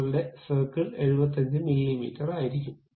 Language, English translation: Malayalam, So, your circle will be of 75 millimeters